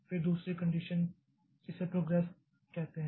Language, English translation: Hindi, Then the second condition says it's a progress